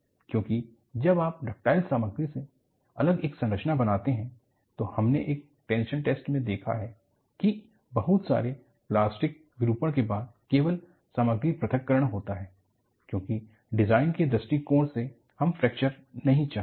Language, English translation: Hindi, Because when you make a structure out of ductile material, we have seen from a tension test, after lot of plastic deformation only the material separation occurs; because from a design point of view, we do not want fracture